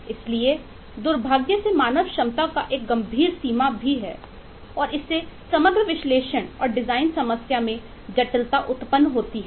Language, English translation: Hindi, so unfortunately there’s a severe limitation of the human capacity and that leads to a lot of complexity of the overall analysis and design problem